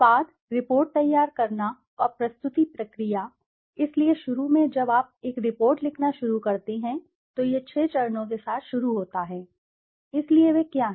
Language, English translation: Hindi, The product, the report preparation and the presentation process, so initially when you start writing a report first it starts with this six steps, so what are they